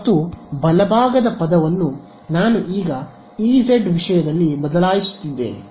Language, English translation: Kannada, And the right hand side term I am now replacing it in terms of E z ok